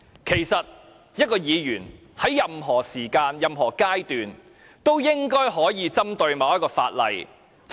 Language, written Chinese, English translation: Cantonese, 其實，議員應該可以在任何時間、任何階段針對某項法例發言。, Members should be allowed to speak on any piece of legislation at any time and at any stage